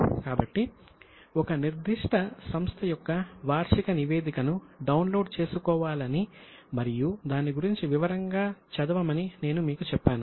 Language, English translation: Telugu, So, I had told you to download annual report of one particular company and go through it in detail